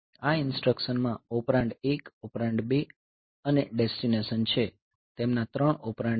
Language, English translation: Gujarati, have the operand 1, operand 2 and destination so, their 3 operands are there